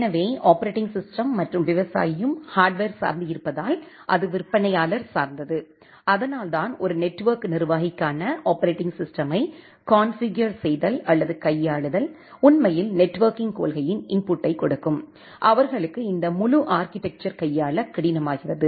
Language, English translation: Tamil, So, because the operating system and the farmer are hardware dependent and it is vendor specific and that is why, the configuration or handling the operating system for a network administrator, who will actually give the input of the networking policy, for them this entire architecture becomes difficult to handle